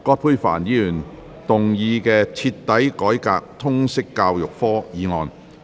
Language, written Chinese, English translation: Cantonese, 葛珮帆議員動議的"徹底改革通識教育科"議案。, Ms Elizabeth QUAT will move a motion on Thoroughly reforming the subject of Liberal Studies